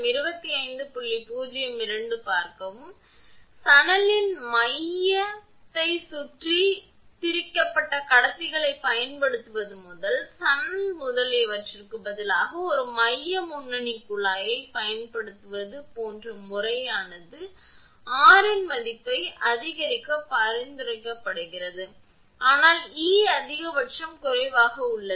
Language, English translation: Tamil, So, method like using stranded conductors around a central core of hemp and using a central lead tube instead of hemp etcetera have been suggested to increase the value of r, so that, E max is low